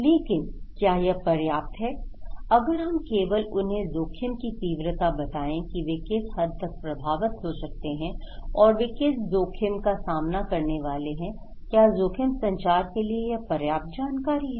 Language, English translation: Hindi, But is it enough, if we only tell them the level of risk that what extent they are going to affected and what risk they are facing therein what risk is imminent, is this enough information in risk communications